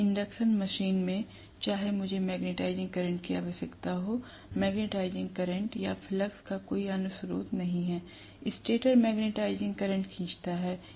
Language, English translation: Hindi, In an induction machine, no matter what I need the magnetising current, there is no other source of the magnetising current or flux, stator is drawing, magnetising current